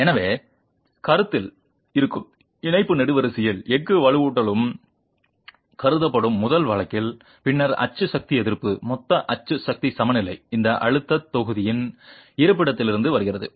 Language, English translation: Tamil, So, in the first case where the steel reinforcement in the Thai column which is in compression is also considered, then the axial force resistance, the total axial force equilibrium comes from the two, the location of this stress block